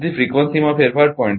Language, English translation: Gujarati, So, change in frequency is 0